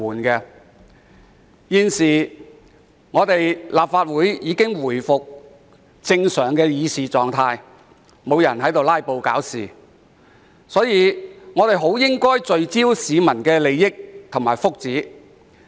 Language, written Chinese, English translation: Cantonese, 由於本會現已回復正常的議事狀態，沒有人"拉布"搞事，所以我們應聚焦在市民的利益和福祉。, As this Council has now restored the normal state of discussion with no more filibusters or trouble - makers we should cast our mind on public interests and welfare